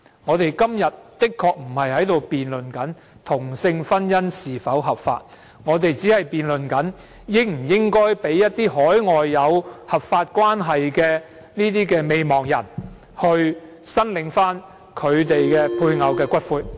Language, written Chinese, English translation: Cantonese, 我們今天確實並非辯論同性婚姻是否合法，而只是辯論應否讓在海外有合法關係的未亡人申領其配偶的骨灰。, Today we are actually not debating whether same - sex marriage is legal; we are merely debating whether or not people who have established legitimate relationships overseas should be allowed to claim the ashes of their spouses